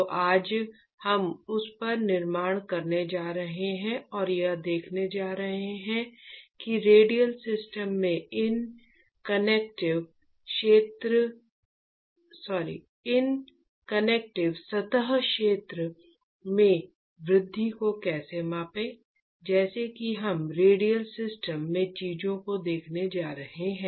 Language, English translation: Hindi, So, today what we have going to see is we going to build up on that and we are going to see how to quantify the increase in this convective surface area in a radial system that is we going to look at things in radial system